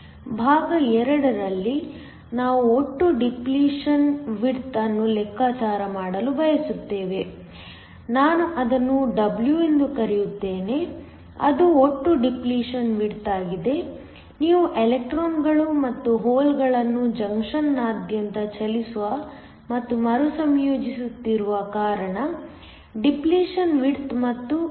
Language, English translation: Kannada, In part 2, we want to calculate the total depletion width, let me call that W that is the total depletion width so, the depletion width again forms because you have electrons and holes moving across the junction and are recombining